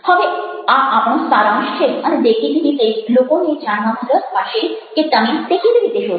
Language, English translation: Gujarati, now, this is our conclusion and obviously people would interested to know: how did you find it out